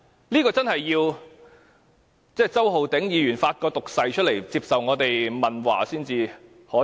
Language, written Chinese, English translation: Cantonese, 我們真的要周浩鼎議員發一個毒誓，接受我們問話才會知道。, To find that the true picture we really need to ask Mr Holden CHOW to solemnly swear and be questioned by us